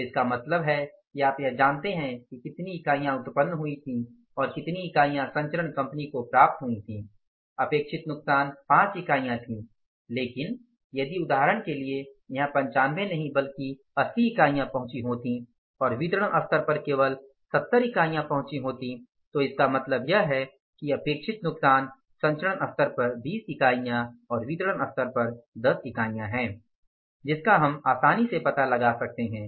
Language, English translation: Hindi, So it means now you know it that how much units were generated and passed down to the transmission company expected loss was 5 units but if for example here the say not 95 but the 80 units have reached and at this level only 70 units have reached it means the expected loss was what 5 units at this level at this level But here we are seeing 20 units are lost at this level and 10 units are lost at this level